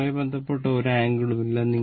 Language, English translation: Malayalam, No angle associated with that